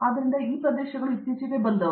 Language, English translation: Kannada, So, these areas have come up recently